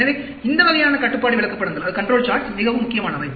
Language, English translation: Tamil, So, these types of control charts are extremely important